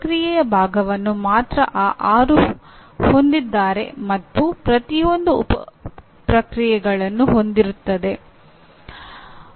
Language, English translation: Kannada, They only the process part is these six in each and each one has sub processes; including even these and several sub processes